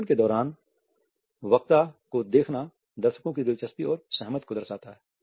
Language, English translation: Hindi, Looking at the speaker during the talk suggest interest and agreement also